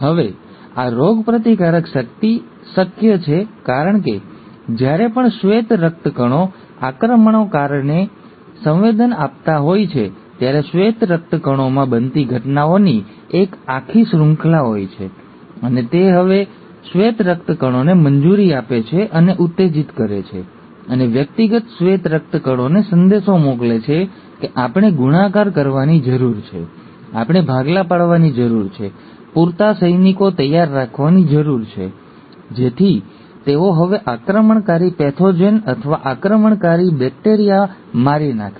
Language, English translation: Gujarati, Now this immunity is possible because every time the white blood cells are sensing the invaders, there is a whole series of events which are taking place in white blood cells, and it allows and triggers now the white blood cells and sends a message to the individual white blood cells that we need to multiply, we need to divide, have enough soldiers ready so that they now kill the invading pathogen or the invading bacteria